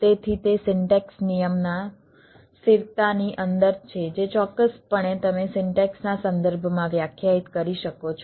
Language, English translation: Gujarati, it is within a constant of syntax rule, definitely, you, you can define within a context of a syntax